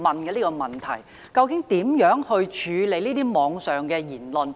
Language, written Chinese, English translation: Cantonese, 究竟教育局會如何處理網上言論？, How will the Education Bureau handle remarks on the Internet?